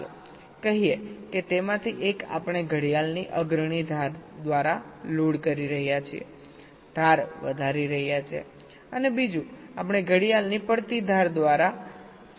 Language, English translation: Gujarati, let say one of them we are loading by the leading edge of the clock, raising age, and the other we are activity of by falling edge of the clock